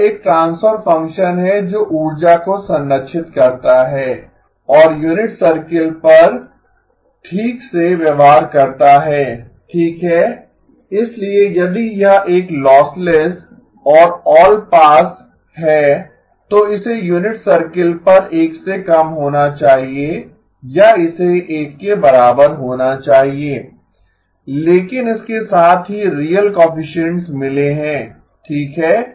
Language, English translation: Hindi, It is a transfer function that preserves energy and is well behaved on the unit circle okay, so well if it is a lossless and allpass, it has to be less than or it has to be equal to 1 on the unit circle but it has got real coefficients as well okay